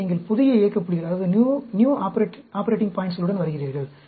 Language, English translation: Tamil, So, you come up with the new operating points